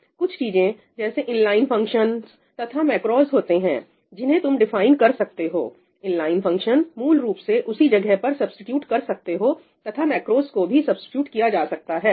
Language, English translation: Hindi, There are things like inline functions and macros that you can define – inline functions are basically just substituted at that place and macros are also substituted, right